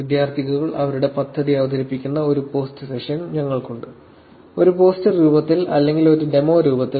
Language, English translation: Malayalam, We actually have a post session where students actually present their work, what they have done over the semester in the form of a poster, in the form of a demo